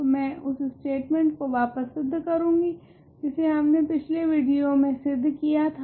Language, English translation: Hindi, So, I am going to reprove the statement that we proved in a previous video